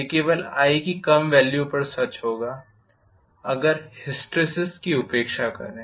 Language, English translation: Hindi, That will be true for lower values of i provided, neglect hysteresis